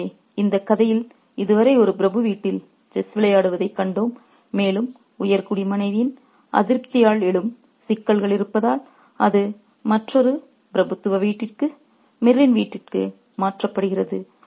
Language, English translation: Tamil, So, we have seen in the story so far that we have a game of chess being played at one aristocrats house and because there is complication arising from the displeasure of the aristocrats' wife, it's being moved to another aristocrats' home, Mir's home, and then there is further complication there